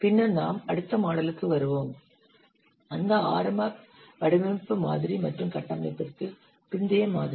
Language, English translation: Tamil, Then we'll come to the next model, that already designed model and the post architecture model